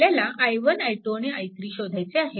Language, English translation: Marathi, So, it will be i 1 plus i 2